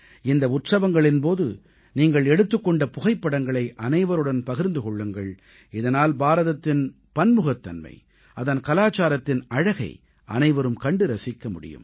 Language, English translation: Tamil, Doo share the photographs taken on these festivals with one another so that everyone can witness the diversity of India and the beauty of Indian culture